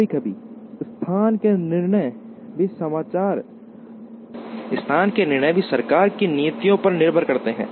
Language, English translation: Hindi, Sometimes, the location decisions also depend on the policies of the government